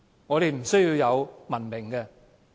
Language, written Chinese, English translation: Cantonese, 我們不需要文明嗎？, Dont we need civilization?